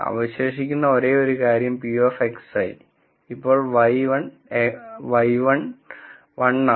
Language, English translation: Malayalam, So, the only thing that will remain is p of x i now y i is 1